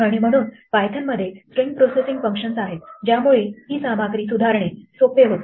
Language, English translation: Marathi, And so, Python has a number of string processing functions that make it easier to modify this content